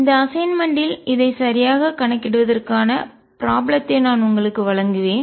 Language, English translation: Tamil, I will give you in the assignment the problem to calculate this exactly